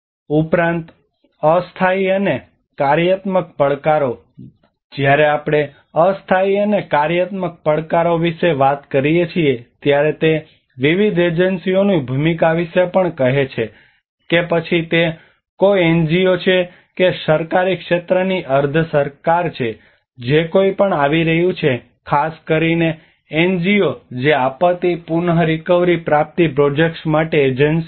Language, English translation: Gujarati, Also, the temporal and functional challenges; when we talk about the temporal and functional challenges, it is also about the role of different agencies whether it is an NGO or a government sector or quasi government which whoever are coming so especially the NGOs who are coming the agencies to do the disaster recovery projects